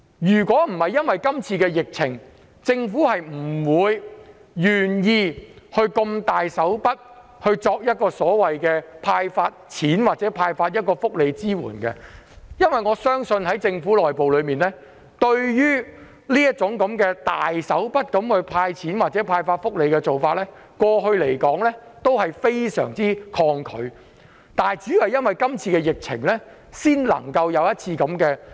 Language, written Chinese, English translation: Cantonese, 如果不是出現疫情，政府今次是不會願意如此闊綽"派錢"或作出福利支援的，因為我相信政府內部對於這種闊綽的"派錢"措施或福利政策非常抗拒，主要因為今次的疫情才會這樣做。, Without the pandemic the Government would not have been willing to dish out money or welfare benefits so generously . I believe internally the Government is resistant to this kind of generous cash handout measure or welfare policy . It is willing to do so mainly because of this pandemic